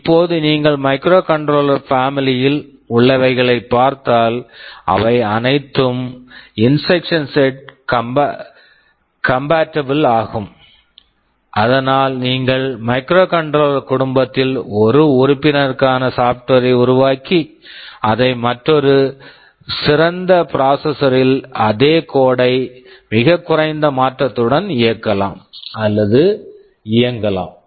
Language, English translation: Tamil, Now, if you look at the microcontrollers across the family they are all instruction set compatible so that once you develop software for one member of the family, and you move to a better processor, the same code can run or execute with very little modification